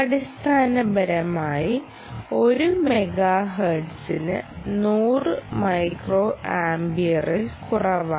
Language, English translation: Malayalam, so basically, less than hundred micro amps per megahertz is general